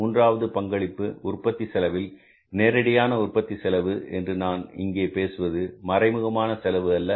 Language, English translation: Tamil, Third contribution of the cost of the production is direct cost of the production I am talking about, not indirect cost